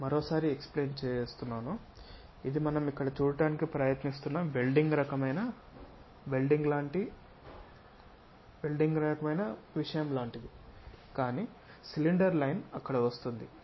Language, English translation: Telugu, Let me explain once again; this is more like a welded kind of thing portion what we are trying to see here, but the cylinder line comes there